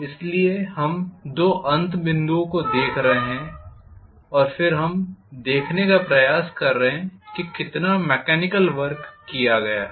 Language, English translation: Hindi, So we are looking at the two endpoints and then we are trying to see how much of mechanical work has been done